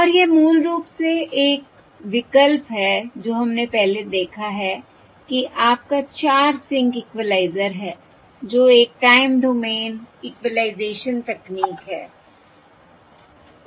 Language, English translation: Hindi, this is basically an alternative to what we have seen previously, that is, your 0: 4 sync equaliser, which is a time domain equalisation technique